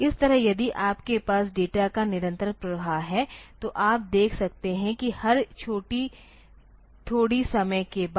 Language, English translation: Hindi, That way if you have a continuous flow of data then you can see that after every after every small amount of time